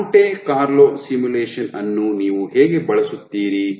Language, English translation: Kannada, So, how do you set up a Monte Carlo simulation